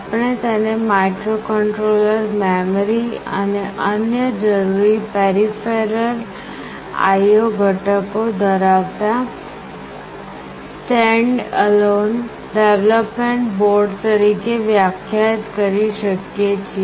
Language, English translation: Gujarati, We can define it as a standalone development board containing microcontroller, memory and other necessary peripheral I/O components